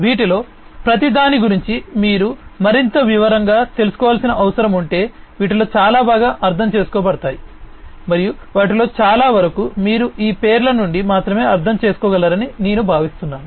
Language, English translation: Telugu, If you need to know in further more detail about each of these many of these are quite well understood, and you know I think most of them you can understand from these names alone